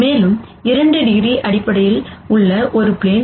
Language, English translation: Tamil, And a 2 degree of freedom object is basically a plane